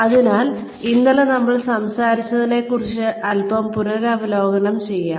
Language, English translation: Malayalam, So, let us revise a little bit about, what we talked about yesterday